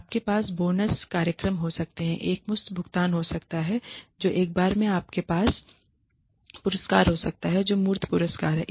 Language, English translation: Hindi, You could have bonus programs, lump sum payments that is one time you could have awards which are tangible prizes